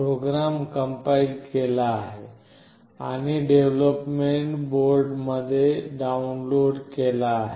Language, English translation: Marathi, The program is compiled and downloaded onto the development boards